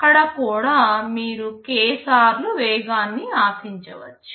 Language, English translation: Telugu, There also you can expect a k times speedup